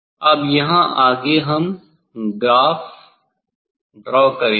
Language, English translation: Hindi, Now here next they will for drawing graph